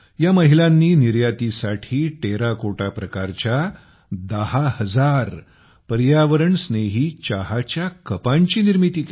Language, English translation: Marathi, These women crafted ten thousand Ecofriendly Terracotta Tea Cups for export